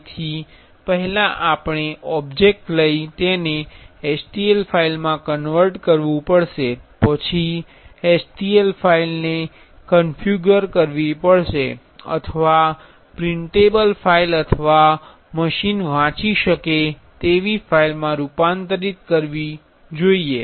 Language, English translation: Gujarati, So, first we have to take the object and convert to a stl file, then the stl file should be configured or converted to a 3D printable file or machine readable file